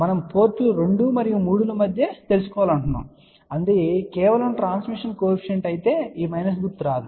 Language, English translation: Telugu, Because we want to find out between ports 2 and 3, if it was just the transmission coefficient then this minus sign will not come